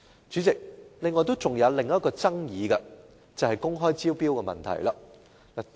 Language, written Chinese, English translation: Cantonese, 主席，另一爭議是公開招標的問題。, President another dispute is the issue of open tender